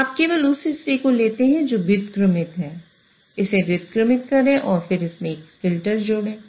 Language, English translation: Hindi, So, you take only the part which is invertible, invert it and then add a filter to it